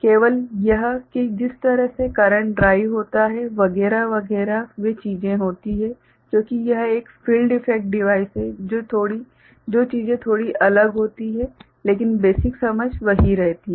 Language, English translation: Hindi, Only that the way the current is driven etcetera etcetera those things are, because it is a field effect device those things are little different, but basic understanding remains the same